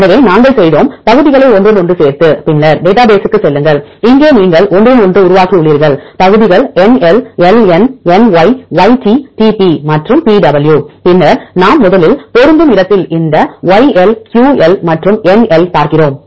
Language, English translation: Tamil, So, we made into overlaping segments, then go to the database, here also you made into overlaping segments NL LN NY YT TP and PW then where we match first we see this YL QL and NL